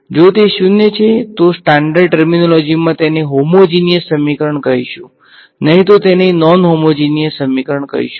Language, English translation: Gujarati, If it is zero standard terminology we will call it a homogeneous equation and else I call it a non homogeneous